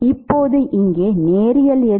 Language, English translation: Tamil, Now, which are linear here